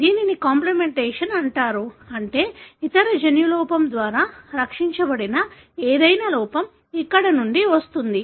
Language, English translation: Telugu, This is called as complementation, meaning whatever defect that results from here that is rescued by the other gene defect